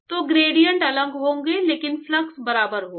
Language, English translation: Hindi, So, the gradients will be different, but the flux will be equal